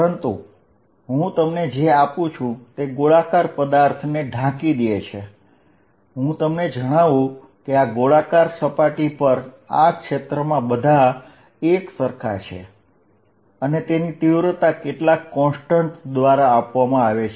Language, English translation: Gujarati, But, what I give you is I hide that spherical body, I give you that on this surface the field is all the same on this spherical surface and it is magnitude is given by some constant